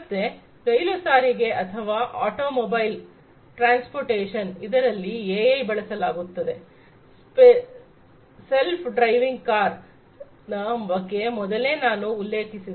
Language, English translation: Kannada, So, in the case of rail transportation or automotive transportation, etcetera AI is also used, self driving car is something that I mentioned at the outset